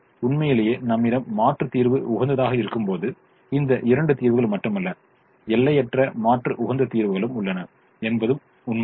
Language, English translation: Tamil, in fact, it's also said, it's also true that when we have alternate optimum, we not only have these two solutions, we also have infinite alternate optimum solutions